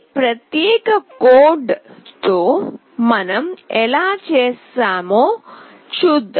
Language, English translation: Telugu, Let us see how we have done in this particular code